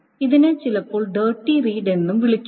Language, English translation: Malayalam, This is also sometimes called the Dirty Read